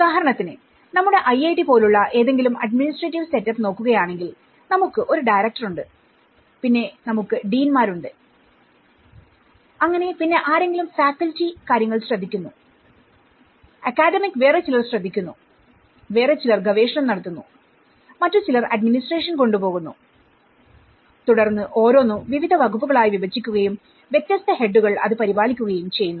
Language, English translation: Malayalam, Like for instance, if you look at any administrative setup like our own IIT we have a director then we have the deans and we have a director and we have the deans and so, someone is taking care of the faculty affairs, someone is taking of the academic, someone is taking with the research, someone is taking to administration and then each this is further divided into different departments and different heads are taking care of it